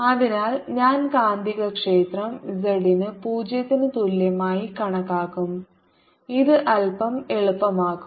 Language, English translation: Malayalam, so i'll calculate magnetic field at z equal to zero, which makes my life a little easy